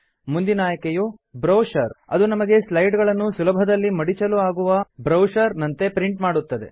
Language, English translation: Kannada, The next option, Brochure, allows us to print the slides as brochures, for easy binding